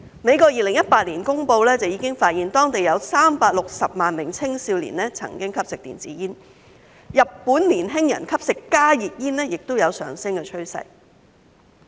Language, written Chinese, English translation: Cantonese, 美國在2018年的公布已發現當地有360萬名青少年曾經吸食電子煙，而日本年輕人吸食加熱煙亦有上升趨勢。, The United States revealed in 2018 that 3.6 million young people in the country had consumed e - cigarettes . In Japan the use of HTPs by young people is also on the rise